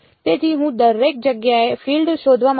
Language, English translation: Gujarati, So, I want to find the field everywhere